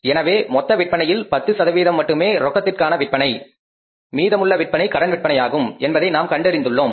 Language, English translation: Tamil, So, we found out that if you talk about the total sales, in the total sales only 10% of sales are the cash sales and the remaining sales are the credit sales